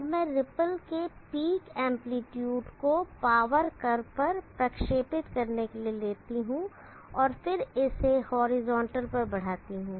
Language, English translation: Hindi, Now let me take the peak amplitude of the ripple projected on to the power curve and then extended on to the horizontal